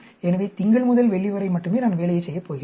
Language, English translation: Tamil, So, Monday to Friday only I am going to do the work